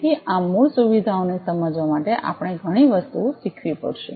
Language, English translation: Gujarati, So, we have to learn lot of things to understand to these basic features